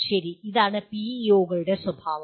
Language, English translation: Malayalam, Okay, that is the nature of PEOs